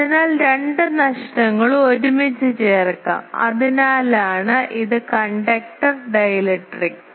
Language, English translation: Malayalam, So, the two losses can be put together that is why it is conductor dielectric together